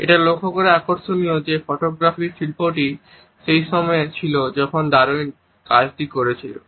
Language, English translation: Bengali, It is interesting to note that the art of photography was in its nascent face at the time when Darwin was working